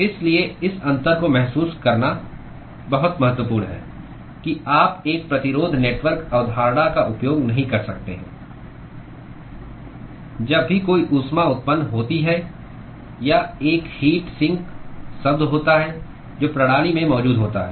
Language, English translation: Hindi, So, this is very important to realize this distinction that you cannot use a resistance network concept whenever there is a heat generation or a heat sink term which is present in the system